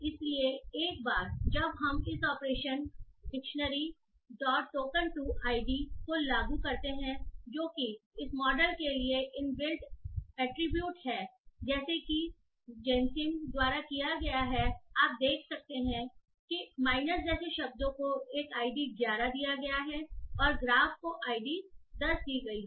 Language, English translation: Hindi, So, once we apply this operation dictionary dot token to ID which is an inbuilt attribute for this model as given by GENC you can find that the words like minus is given an ID 11, graph is given an ID 10 and so on